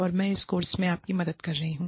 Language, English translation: Hindi, And, i have been helping you, with this course